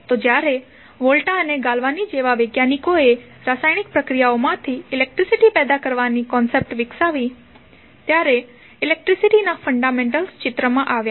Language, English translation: Gujarati, So, basically when the the scientists like Volta and Galvani developed the concept of getting electricity generated from the chemical processes; the fundamentals of electricity came into the picture